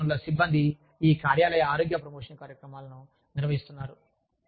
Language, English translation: Telugu, Human resources personnel are the people, who are organizing, these workplace health promotion programs